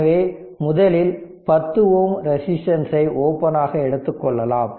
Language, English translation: Tamil, So, first you take it take 10 ohm resistance open